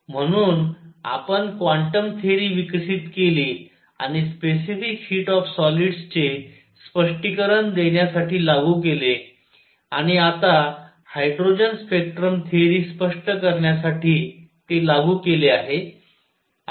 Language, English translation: Marathi, So, we develop quantum theory applied it to explain specific heat of solids and now applied it to explain the hydrogen spectrum theory must be right alright